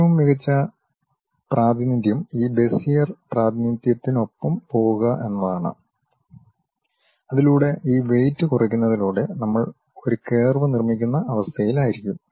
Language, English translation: Malayalam, The best representation is to go with this Bezier representation, where by minimizing these weights we will be in a position to construct a curve